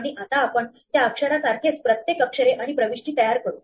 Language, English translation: Marathi, And now let us create for each letter and entry which is the same as that letter